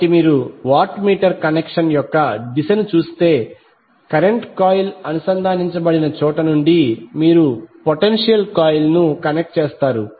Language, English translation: Telugu, So if you see the direction of the watt meter connection, you will connect potential coil from where the current coil is connected